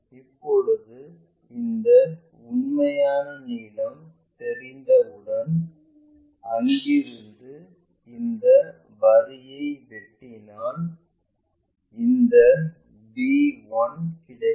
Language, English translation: Tamil, Now, once that true length is known from here intersect this line so that we will get this b1'